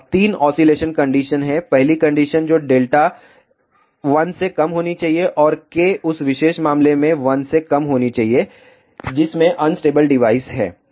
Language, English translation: Hindi, Now, there are three oscillation conditions firat condition that is delta should be less than 1 and K should be less than 1 in that particular case device is unstable